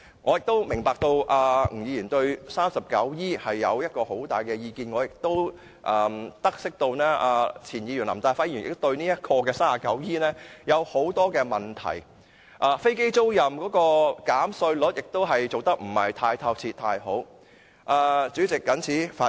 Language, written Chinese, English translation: Cantonese, 我明白吳議員對《稅務條例》第 39E 條有很大的意見，我亦都得悉前議員林大輝對第 39E 條有很多問題，有關飛機租賃的稅務寬減亦做得不太好。, I understand that Mr NG has strong views on section 39E of the Inland Revenue Ordinance . I also learn that LAM Tai - fai a former Member had a lot of views on section 39E and that the provision of tax concessions for aircraft leasing is far from satisfactory